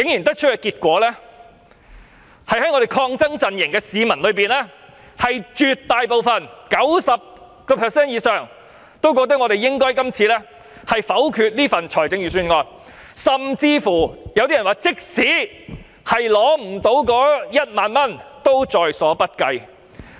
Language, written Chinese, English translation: Cantonese, 得出的結果是，在抗爭陣營裏，絕大部分的市民覺得我們應該否決預算案，甚至有些人說，即使無法得到1萬元也在所不計。, The result is that within the protesting camp a large majority think that the Budget should be voted against . Some of them even said that their view remained unchanged even if it meant not getting 10,000